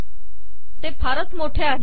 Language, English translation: Marathi, It has become bigger